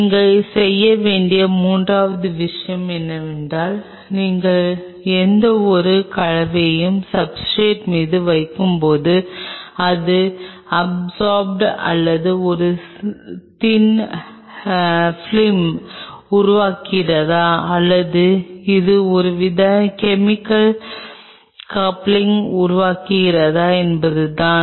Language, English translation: Tamil, The third thing what you have to do is now when you are putting any compound on the substrate whether it is getting absorbed, or whether it is forming a thin film, or it is forming some kind of chemical coupling